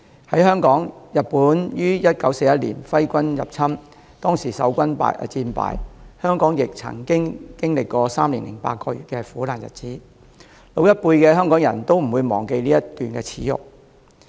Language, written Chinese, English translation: Cantonese, 在香港，日本於1941年揮軍入侵，當時守軍戰敗，香港亦曾經歷3年8個月的苦難日子，老一輩的香港人都不會忘記這一段耻辱。, In Hong Kong the Japanese army invaded the territory in 1941 and following the defeat of the defence army Hong Kong people suffered great hardship for three years and eight months . People of the older generation would not forget such shame